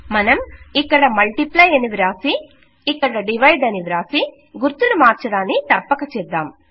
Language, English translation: Telugu, And here well say multiply and well say divide and make sure you change the sign here